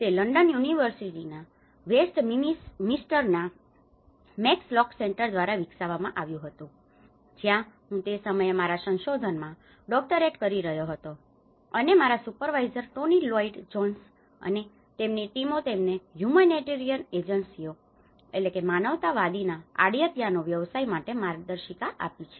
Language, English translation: Gujarati, It was developed by the Max Lock Center in University of Westminster, London where I was doing my doctoral research at that time and my supervisor Tony Lloyd Jones and his team they have contributed a guidebook for the humanitarian agencies